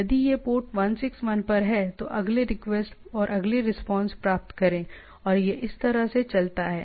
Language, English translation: Hindi, If this is at port 161 get next requests and next response and it goes on like this